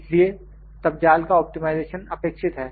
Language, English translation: Hindi, So, optimization of mesh is required then